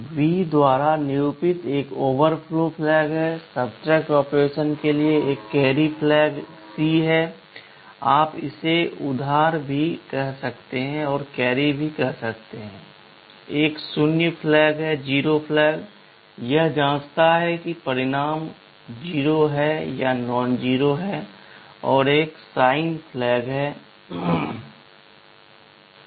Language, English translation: Hindi, There is an overflow flag denoted by V, there is a carry flag C for subtract operation; you call it the borrow, there is a zero flag Z, it checks whether the result is zero or nonzero, and the sign flag N